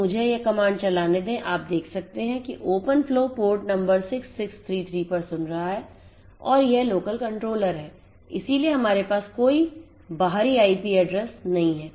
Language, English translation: Hindi, So, let me run this command so, you can see the open flow is listening on port number 6633 and it is the local controller so that is why we do not have any external IP address